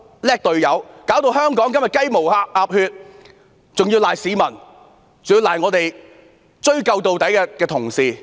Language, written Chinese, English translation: Cantonese, 你令香港今天"雞毛鴨血"，還要推卸給市民，推卸給追究到底的同事。, You were the one putting Hong Kong into trouble and yet you put the blame on members of the public and Members who wish to hold the culprits accountable